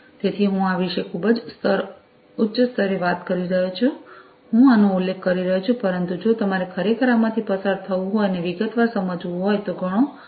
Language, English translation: Gujarati, So, I am talking about these in a very high level you know quite fast I am mentioning these, but if you really have to go through and understand these in detail a lot more time will be required